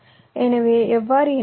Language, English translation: Tamil, so how do i connect